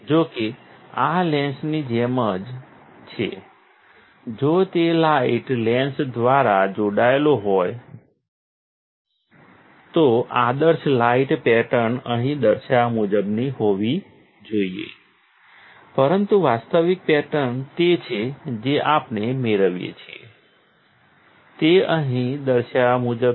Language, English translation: Gujarati, We are not going into detail about this particular technique; however, this is just like a lens is there, if it will light is connected by the lens and the ideal light pattern should be as shown here but the actual pattern is what we get is as shown here, right